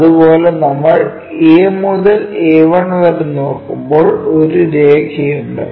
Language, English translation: Malayalam, Similarly, when we are looking A to A 1 there is a line this one